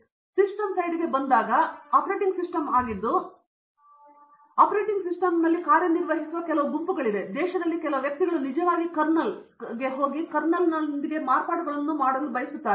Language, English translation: Kannada, Now, when we come to the system side, that is the operating system, there are very few groups which work on operating system, there few very individuals in the country who can actually going to a kernel and come out with modifications to the kernel